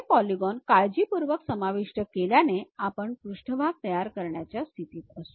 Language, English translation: Marathi, By carefully adjusting these polygons, we will be in a position to construct surface